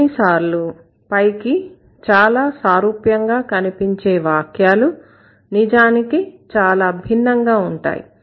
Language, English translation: Telugu, And sometimes some sentences which looks so similar superficially are in fact different